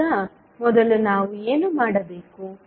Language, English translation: Kannada, Now, first what we need to do